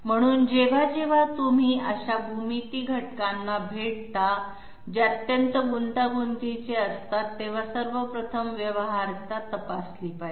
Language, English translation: Marathi, So whenever you come across such geometry elements which are extremely complex, so first of all there has to be a feasibility check